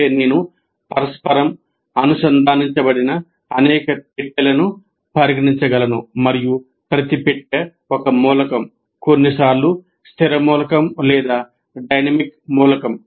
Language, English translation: Telugu, That means I can consider several boxes which are interconnected and each box is an element, sometimes a static element or a dynamic element